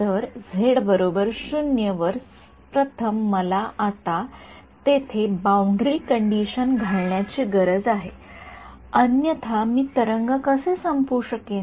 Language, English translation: Marathi, So, z equal to 0 first of all I need to now impose a boundary condition here otherwise how will I terminate the wave